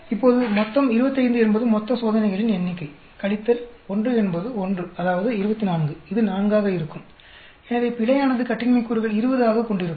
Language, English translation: Tamil, Now, the total will be 25 is the total number of experiments minus 1 is 1 that is 24, this will be 4; so error will have the degrees of freedom as 20